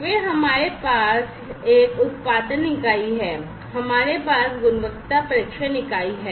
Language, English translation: Hindi, Then we have this one is the production unit, we have the quality testing unit